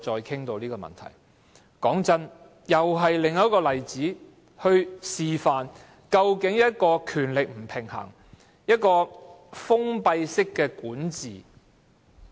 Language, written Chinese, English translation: Cantonese, 坦白說，這是另一個例子，示範甚麼是權力不平衡、封閉式管治。, Frankly this is another example illustrating what is power imbalance and closed governance